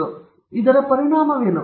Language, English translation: Kannada, And again, what is the consequence